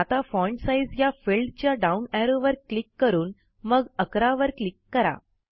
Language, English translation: Marathi, Now click on the down arrow in the Font Size field and then click on 11